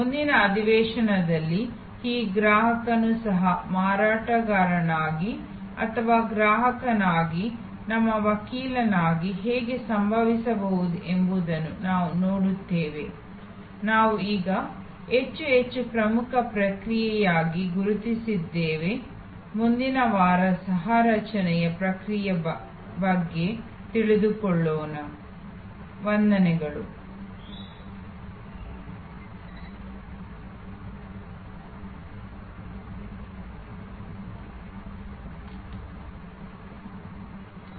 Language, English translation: Kannada, In the next session, we will see that how this customer as co marketer or customer as our advocate can happen through a process that we are now recognizing more and more as an very important process which is the process of co creation all that next week